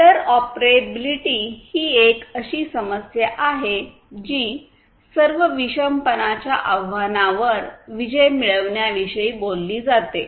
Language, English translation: Marathi, So, interoperability is this issue which talks about conquering this challenge of heterogeneity in all different respects